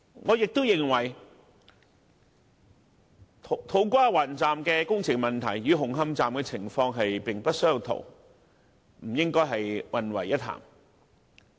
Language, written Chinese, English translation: Cantonese, 我也認同土瓜灣站的工程問題，與紅磡站的情況並不相同，不應混為一談。, I also agree that the works problem relating to To Kwa Wan station is different from that of Hung Hom Station and thus cannot be lumped together